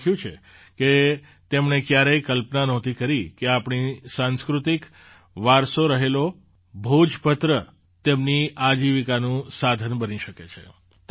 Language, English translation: Gujarati, They have written that 'They had never imagined that our erstwhile cultural heritage 'Bhojpatra' could become a means of their livelihood